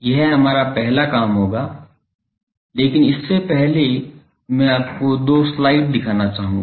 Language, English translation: Hindi, This will be our first task, but before that I will want to show you two slides